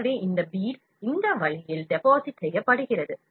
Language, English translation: Tamil, So, this bead is deposited in this way